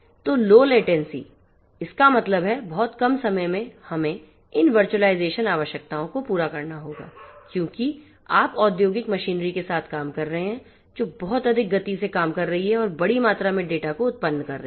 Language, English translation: Hindi, So, low latency; that means, very little less time we will have to cater to these virtualization requirements, because you are dealing with industrial machinery operating in very high speeds throwing large amount of data actuating in very high speed and so on